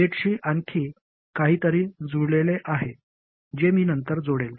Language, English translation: Marathi, There is something else connected to the gate that I will add on later